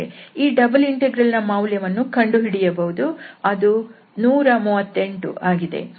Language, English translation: Kannada, So this double integral one can evaluate and the value is coming as 138